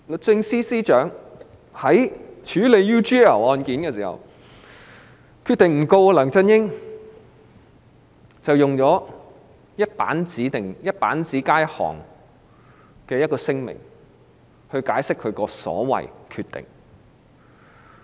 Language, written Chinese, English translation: Cantonese, 在處理 UGL 案件時，律政司司長決定不檢控梁振英，並發出只有一頁紙的簡短聲明來解釋所謂的"決定"。, In handling the UGL case the Secretary for Justice decided not to prosecute LEUNG Chun - ying and she only issued a one - page short statement explaining the so - called decision